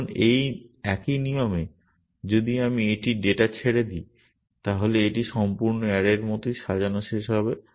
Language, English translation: Bengali, Now, this single rule if I let it loose on the data then it will end up sorting as the same the entire array essentially